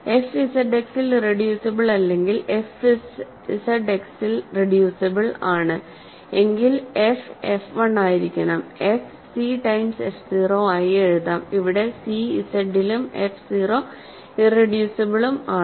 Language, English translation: Malayalam, If f is not irreducible in Z X that means, f is reducible in Z X, then f has to be then f 1, f can be written as some c times f 0, where c is in Z and f 0 is irreducible or f 0 is another polynomial in Z X, right